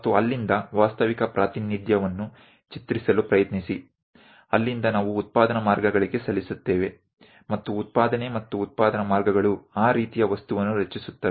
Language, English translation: Kannada, And from there try to draw the realistic representation; from there we submit to production lines; and manufacturing and production lines create that kind of objects